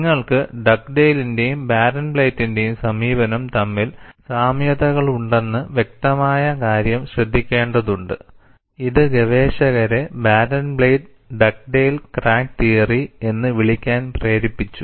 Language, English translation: Malayalam, And you will also have to note, that there are obvious similarities between the approach of Dugdale and Barenblatt, which has led researchers to refer it as Barenblatt Dugdale crack theory